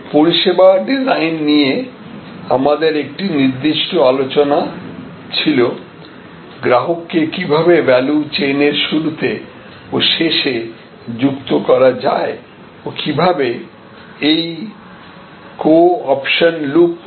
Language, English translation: Bengali, We had a specific discussion on service design and how customers can be co opted in the beginning of the value chain as well as the end of the value chain and can how those co options can actually complete the loop